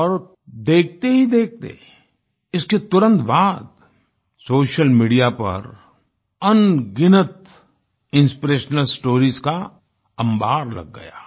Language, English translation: Hindi, And within no time, there followed a slew of innumerable inspirational stories on social media